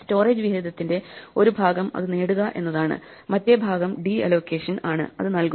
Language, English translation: Malayalam, One part of storage allocation is getting it, the other part is de allocation, giving it up